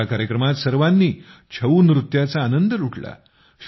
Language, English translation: Marathi, Everyone enjoyed the 'Chhau' dance in this program